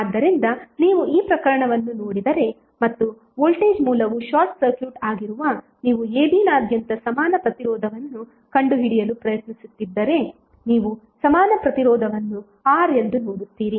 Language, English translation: Kannada, So if you see this case and you are trying to find out equivalent resistance across ab when voltage source is short circuited you will see equivalent resistance is R